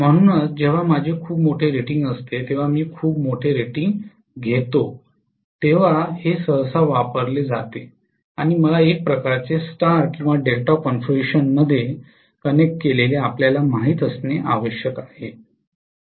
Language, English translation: Marathi, So, this is generally used whenever I am going to have extremely large rating when I have very very large rating and I want to kind of retain the flexibility to you know connected in either star or Delta configuration